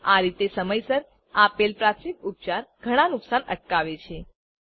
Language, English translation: Gujarati, In this way, first aid given in time prevent many damages